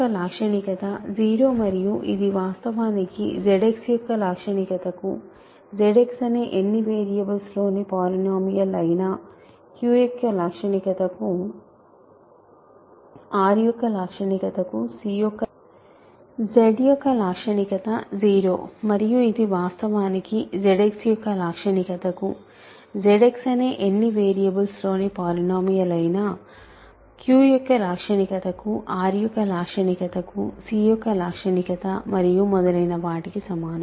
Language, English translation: Telugu, So, characteristic of Z is 0 and that actually also is the characteristic of Z X polynomial in any number of variables, this is the characteristic of Q, characteristic of R and so on